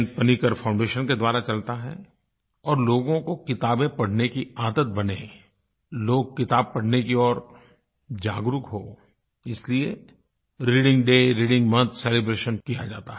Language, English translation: Hindi, Panicker Foundation, which encourages people to cultivate the habit of reading books and to enhance their awareness towards this, by organising celebrations such as 'Reading Day', and 'Reading Month'